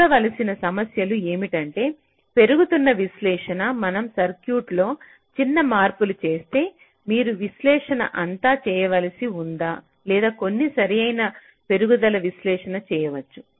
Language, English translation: Telugu, so the problems that need to be looked at is that incremental analysis if we make small changes in the circuit, do you have to do the analysis all over or we can do some correct incremental analysis